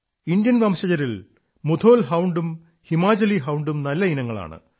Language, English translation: Malayalam, Among the Indian breeds, Mudhol Hound and Himachali Hound are of excellent pedigree